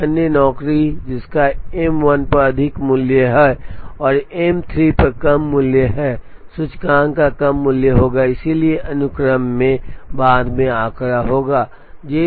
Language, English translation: Hindi, Another job which has a higher value on M 1 and a lower value on M 3, will have a lower value of the index and therefore, figure later in the sequence